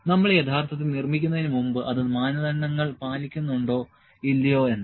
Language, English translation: Malayalam, Before we have actually manufactured whether it adheres to the standards or not